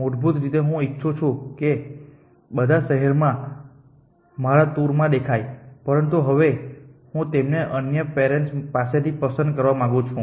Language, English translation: Gujarati, That basically I want all the cities to appear in my 2 out of this, but I want to select them from the second parent now